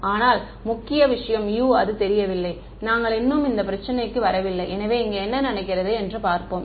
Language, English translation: Tamil, But the main thing is that U is not known, we have not yet come to that problem; so, let us see what happens here